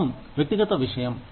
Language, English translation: Telugu, Religion is a personal matter